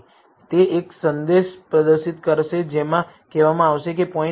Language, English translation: Gujarati, So, it will display a message saying no point within 0